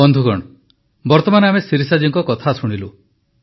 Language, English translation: Odia, Friends, just now we heard Shirisha ji